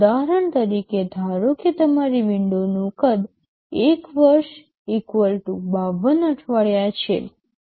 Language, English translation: Gujarati, As an example, suppose your window size is I year = 52 weeks